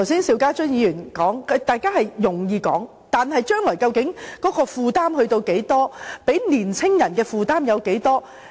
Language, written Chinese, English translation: Cantonese, 邵家臻議員剛才說得容易，但將來究竟負擔多少，會給年輕人帶來多少負擔？, Mr SHIU Ka - chun makes things sound easy but what exactly is the future commitment and how much burden will be imposed on young people?